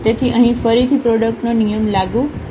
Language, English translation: Gujarati, So, here again the product rule will be applicable